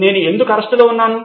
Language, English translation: Telugu, Why am I under arrest